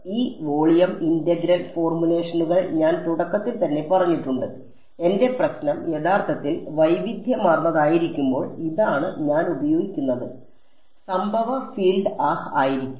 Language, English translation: Malayalam, So, these volume integral formulations as I said in the very beginning, when my problem is actually heterogeneous this is what I will use; the incident field is going to be ah